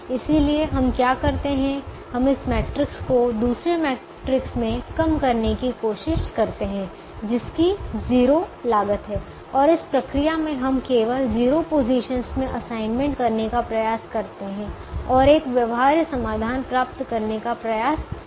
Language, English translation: Hindi, therefore, what we do is we try to reduce this matrix to another matrix which has zero costs and in the process we try to make assignments only in the zero positions and try to get a feasible solution